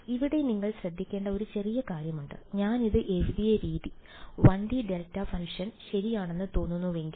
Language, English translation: Malayalam, So, here there is one small thing that you have to be careful of, if you the way I have written this looks like a 1 D delta function right